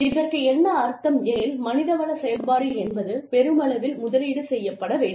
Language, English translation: Tamil, Which means, that the HR function, should be invested in, heavily